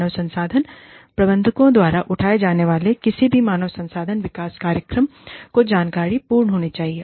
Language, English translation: Hindi, So, any human resource development programs, that are taken up by the HR managers, should be informative